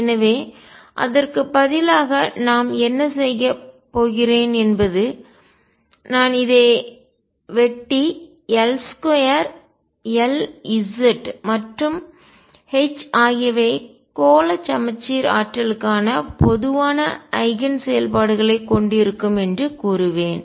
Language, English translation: Tamil, So, what we are going to have instead is I will just cut this and say that L square L z and H will have common eigen functions for spherically symmetric potentials